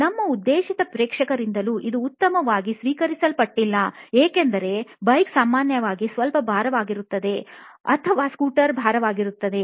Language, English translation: Kannada, This is not well received by our intended audience as well, because the bike is usually a bit heavy or the scooter is a bit heavy